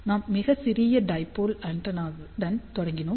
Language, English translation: Tamil, So, let us start with the infinitesimal dipole antenna